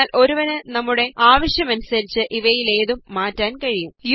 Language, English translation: Malayalam, But one can change any of these to suit our requirement